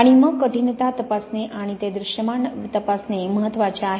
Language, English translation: Marathi, And then it is important to check the fit and to check that fit visually